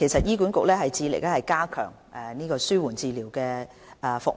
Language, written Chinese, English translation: Cantonese, 醫管局致力加強紓緩治療服務。, HA strives to strengthen palliative care service